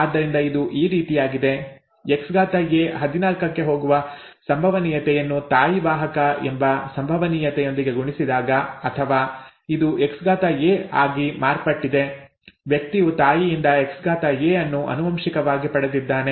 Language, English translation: Kannada, Therefore it is something like this; probability that the mother is a carrier times the probability that X a goes to 14 or this has become X a, the person as has inherited the Xa from the mother, okay